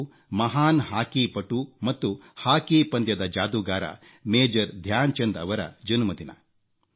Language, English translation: Kannada, This is the birth anniversary of the great hockey player, hockey wizard, Major Dhyan Chand ji